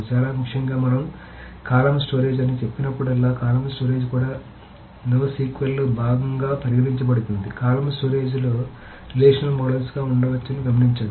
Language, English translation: Telugu, So very, very importantly, whenever we say column storage, so even though column storage is considered to be part of no SQL, note that column storage is can be relational models